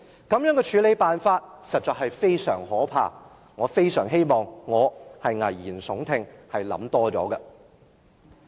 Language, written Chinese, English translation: Cantonese, 這樣的處理方式實在非常可怕。我非常希望我在危言聳聽，想得太多。, This approach is so awful that I do hope I am just scaremongering and being oversensitive